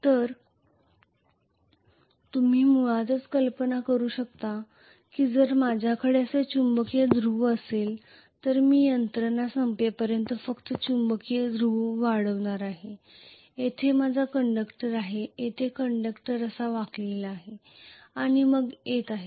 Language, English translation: Marathi, So you can imagine basically that if I am going to have the magnetic pole like this I am going to have the magnetic pole extending only until the machine ends after that wherever I have a conductor the conductor is going to bent like this and then come back like this this overhang portion becomes useless